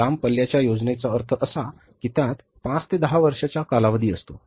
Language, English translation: Marathi, Long range plan means it entails a time period of five to ten years